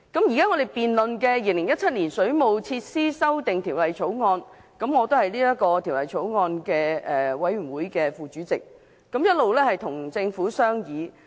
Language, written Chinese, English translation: Cantonese, 現在我們辯論的是《2017年水務設施條例草案》，我是相關法案委員會副主席，並一直跟政府進行商議。, The debate topic today is the Waterworks Amendment Bill 2017 . As the Deputy Chairman of the relevant Bills Committee I have discussed with the Government throughout the scrutiny